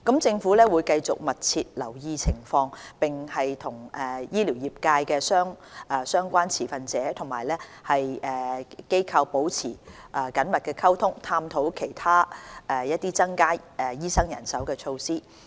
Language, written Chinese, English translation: Cantonese, 政府會繼續密切留意情況，並與醫療業界的相關持份者和機構保持緊密溝通，探討其他增加醫生人手的措施。, The Government will continue to closely monitor the situation and maintain close communication with relevant stakeholders and organizations of the medical profession so as to explore other measures to increase the supply of doctors